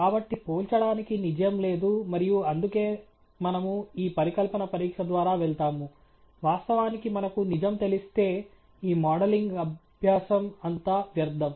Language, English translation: Telugu, So, there is no truth to compare and that’s why we go through this hypothesis testing; of course, if we know the truth then all this modelling exercise is futile alright